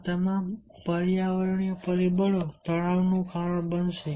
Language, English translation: Gujarati, all these environmental factors will cause the stress